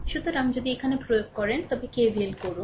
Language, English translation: Bengali, So, if you if you apply your here your KVL